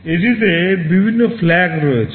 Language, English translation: Bengali, It contains various flags